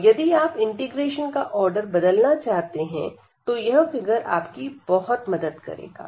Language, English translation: Hindi, If you change the order of integration then this will be much easier to compute